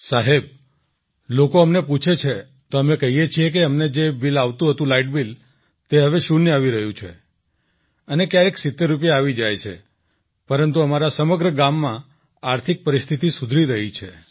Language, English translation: Gujarati, Sir, when people ask us, we say that whatever bill we used to get, that is now zero and sometimes it comes to 70 rupees, but the economic condition in our entire village is improving